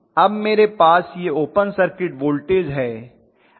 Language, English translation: Hindi, Now I have this open circuit voltage, right